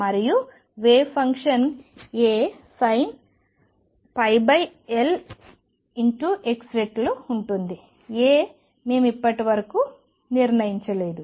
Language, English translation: Telugu, And the wave function is going to be sin pi over L x times a constant a which we have not determined so far